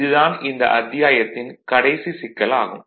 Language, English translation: Tamil, And this is your last problem for this last problem for this chapter